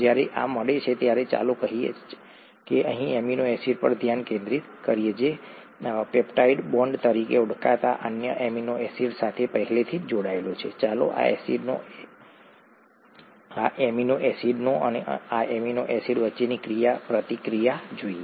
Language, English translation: Gujarati, When this meets, let us say, let us just focus on this amino acid here, which is already combined to another amino acid through what is called a peptide bond; let us look at the interaction between this amino acid and this amino acid